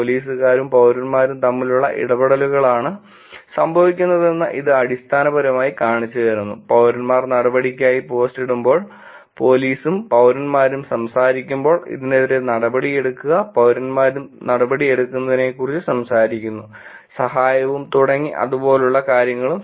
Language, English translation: Malayalam, It is basically showing you that the interactions happens between police and citizens, when citizens posts for action, police and citizens are talking about, take actions on these and citizens among themselves are also talking about take action and please help and things like that